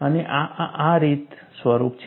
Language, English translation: Gujarati, And this takes the form, like this